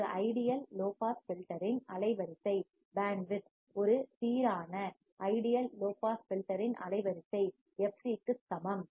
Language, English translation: Tamil, The bandwidth of an ideal low pass filter, the bandwidth of an ideal low pass filter is equal to fc